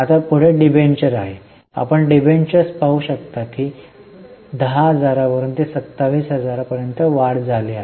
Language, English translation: Marathi, You can see debentures there is an increase from 10,000 to 27,000